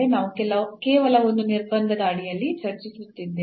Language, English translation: Kannada, So, we are discussing just for under one constraint